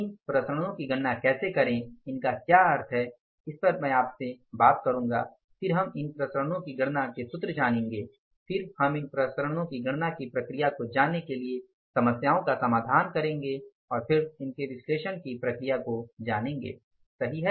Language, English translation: Hindi, I will discuss with you when we will know the formulas to calculate these variances then we will say solve some problems to know the process of the calculation of these variances and then try to find out the process of analyzing these variances, right